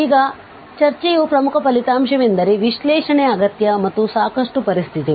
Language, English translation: Kannada, Now, the important result of this discussion is the necessary and sufficient conditions of analyticity